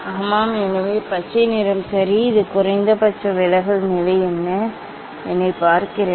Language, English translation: Tamil, yes, so green colour ok, this is the minimum deviation position looks me